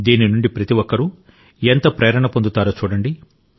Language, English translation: Telugu, You will see how this inspires everyone